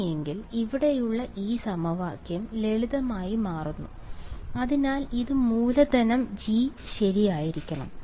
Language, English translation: Malayalam, In that case, this equation over here it simply becomes right, so this should be capital G ok